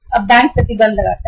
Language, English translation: Hindi, Now bank imposes the restrictions